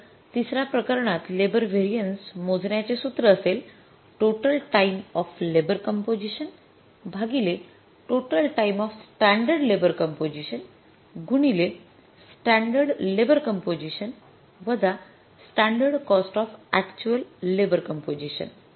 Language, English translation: Marathi, So, the labor mix variance in the third case will be total time of actual labor composition divided by total time of standard labor composition into standard cost of standard labor composition minus standard cost of standard labor composition minus standard cost of standard labor composition minus standard cost of standard cost of actual labor composition